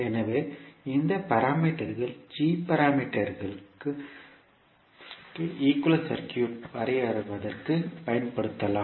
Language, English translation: Tamil, So these equations can be used to draw the equivalent circuit for g parameters